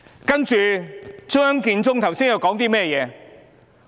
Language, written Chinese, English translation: Cantonese, 然而，張建宗剛才說甚麼？, However what did Matthew CHEUNG say just now?